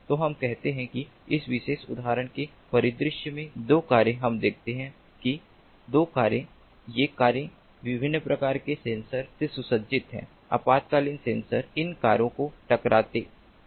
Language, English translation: Hindi, so let us say that two cars in this particular example scenario we see that two cars, these cars fitted with different types of sensors, emergency sensors, collide